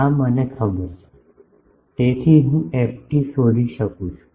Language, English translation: Gujarati, This is known to me; so, I can find ft